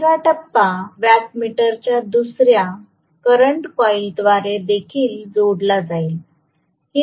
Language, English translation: Marathi, The third phase will also be connected through another current coil of the watt meter